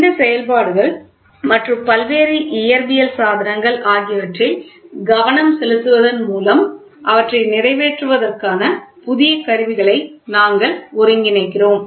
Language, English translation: Tamil, By concentrating on this functions and various physical devices and the various physical device of are available for accomplishing them we develop our ability to synthesize new combination of instruments